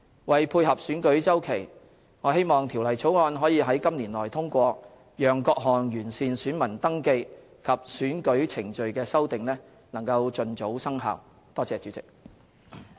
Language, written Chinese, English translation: Cantonese, 為配合選舉周期，我希望《條例草案》可於今年內通過，讓各項完善選民登記及選舉程序的修訂盡早生效。, To tie in with the election cycle I hope that the Bill will be passed within this year so that the amendments which seek to enhance the VR and electoral procedures can take effect as early as possible